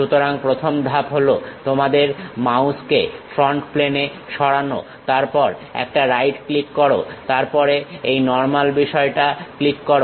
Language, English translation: Bengali, So, first step is move your mouse onto Front Plane, then give a right click then click this normal thing